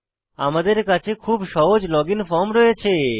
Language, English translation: Bengali, We can see a very simple login form here